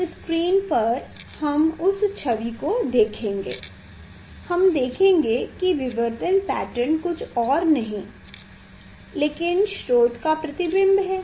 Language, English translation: Hindi, This is the screen position where we will see the image where we will see the diffraction pattern is nothing, but image of the source we will see